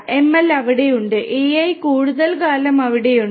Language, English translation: Malayalam, ML has been there, AI has been there for even more for a longer time